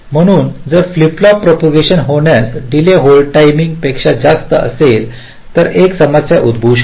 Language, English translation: Marathi, so if a flip flop propagation delay exceeds the hold time, there can be a problem